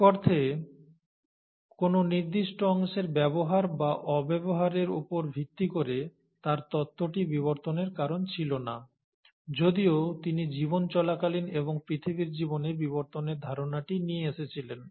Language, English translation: Bengali, So in a sense, his theory based on use or disuse of a particular part was not the reason for evolution, though he did bring in the concept of evolution during the course of life, and in the course of earth’s life